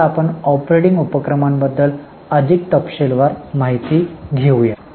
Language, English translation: Marathi, Now let us look at operating activities little more in detail